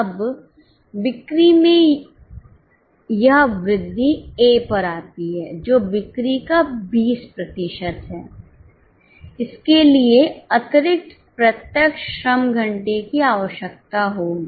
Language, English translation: Hindi, Now, this increase in sales comes to A, which is 20% of sales, it will require extra direct labor hour